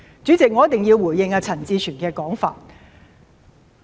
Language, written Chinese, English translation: Cantonese, 主席，我一定要回應陳志全議員的說法。, President I have to respond to the remarks of Mr CHAN Chi - chuen